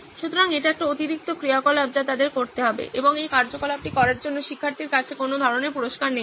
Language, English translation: Bengali, So this is an additional activity that they have to do and does not have any kind of reward that is coming to the student for doing this activity